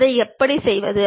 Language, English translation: Tamil, How to do that